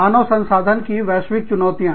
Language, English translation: Hindi, Some challenges for human resources, globally